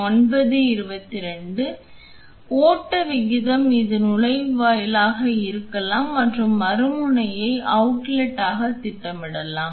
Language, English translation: Tamil, So, the flow rate this could this can be the inlet and the other end can be programmed to be outlet